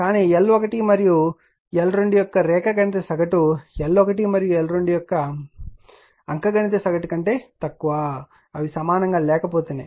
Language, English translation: Telugu, But geometric mean of L 1 L 2 less than the arithmetic mean of L 1 L 2 if they are not equal